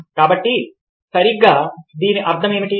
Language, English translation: Telugu, so what exactly do you mean by this